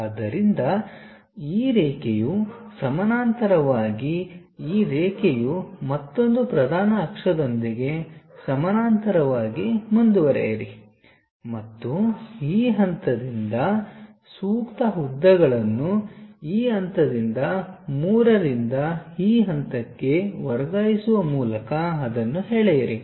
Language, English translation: Kannada, So, this line this line parallel, now this line parallel with the another principal axis then go ahead and draw it, by transferring suitable lengths from this point to this point supposed to be from 3 to this point